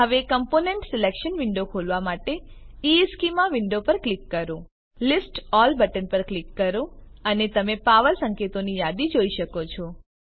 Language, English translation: Gujarati, Now click on the EEschema window to open the component selection window Click on List All button and you can see list of power notations